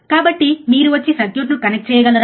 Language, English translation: Telugu, So, can you please come and connect the circuit